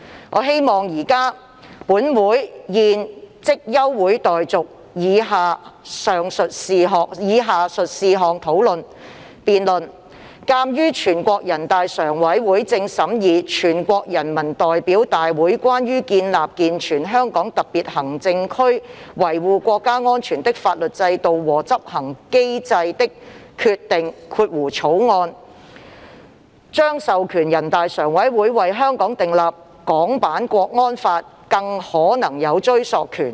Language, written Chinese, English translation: Cantonese, 我希望本會現即休會待續，以就下述事項進行辯論：鑒於全國人大正審議《全國人民代表大會關於建立健全香港特別行政區維護國家安全的法律制度和執行機制的決定》》")，將授權全國人大常務委員會為香港訂立港區國安法，更可能有追溯權。, I hope the Council will now adjourn for the purpose of debating the following issue The draft Decision on establishing and improving the legal system and enforcement mechanisms for the Hong Kong Special Administrative Region to safeguard national security which is currently being deliberated by NPC will authorize the Standing Committee of NPC to enact with possible retroactive effect a national security law in Hong Kong